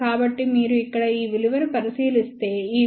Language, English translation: Telugu, So, if you look at this value here, this value is approximately equal to 0